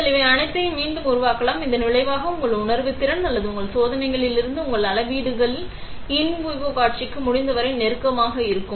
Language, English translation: Tamil, So, you can recreate all these things; as a result of which your measurements from your sensing or your experiments will be as close as possible to the in vivo scenario